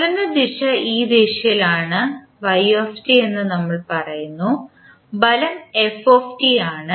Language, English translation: Malayalam, We say that the direction of motion is in this direction that is y t and force is f t